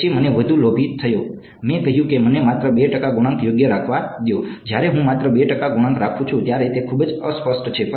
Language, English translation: Gujarati, Then I have got even greedier, I said let me keep only 2 percent coefficients right; When I keep only 2 percent coefficient this is very fuzzy